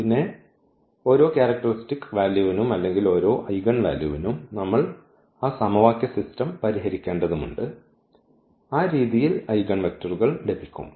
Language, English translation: Malayalam, And, then for each characteristic value or each eigenvalue we have to solve that system of equation that now we will get in that way the eigenvectors